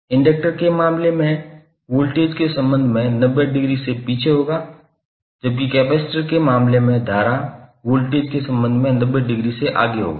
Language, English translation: Hindi, In case of inductor current will be lagging with respect to voltage by 90 degree, while in case of capacitor current would be leading by 90 degree with respect to voltage